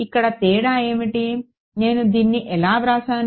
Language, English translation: Telugu, Here what was the difference how did I do it